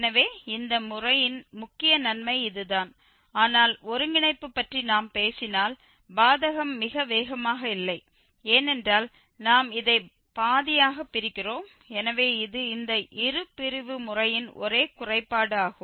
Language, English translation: Tamil, So, that is the main advantage of this method but the disadvantage if we talk about the convergence is not very fast because we are just dividing this by half and half so it is kind of linear convergence which is the only drawback of this bisection method